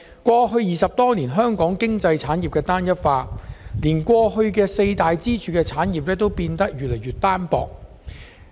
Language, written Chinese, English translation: Cantonese, 過去20多年，香港經濟產業單一化，連固有的四大支柱產業也變得越來越單薄。, Over the past 20 years or so Hong Kongs industries have become increasingly homogenous and our four long - standing pillar industries have also been weakened